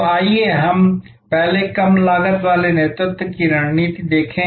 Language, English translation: Hindi, So, let us look at first the overall low cost leadership strategy